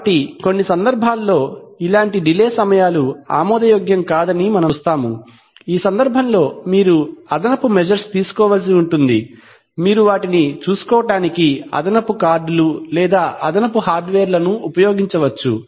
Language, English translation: Telugu, So we shall see that in certain cases these, such delay times may not be acceptable in which case you have to take additional measure in the sense that you might put additional cards or additional hardware for taking care of them